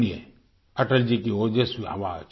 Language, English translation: Hindi, Listen to Atal ji's resounding voice